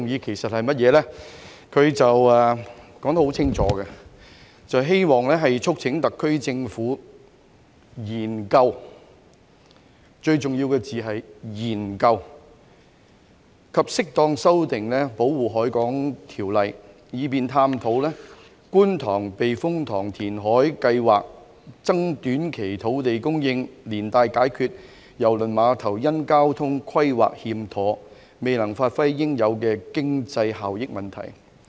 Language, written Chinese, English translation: Cantonese, 他說得很清楚，"促請特區政府研究"——最重要的字眼是研究——"及適當修訂《保護海港條例》，以便探討觀塘避風塘填海計劃，增短期土地供應，連帶解決郵輪碼頭因交通規劃欠妥，未能發揮應有經濟效益問題"。, He stated clearly that this Council urges the SAR Government to examine―the most important word is examine―and appropriately amend the Protection of the Harbour Ordinance so as to explore the Kwun Tong Typhoon Shelter reclamation project as a means of increasing short - term land supply and resolving the failure of the cruise terminal to achieve its due economic benefits owing to improper transport planning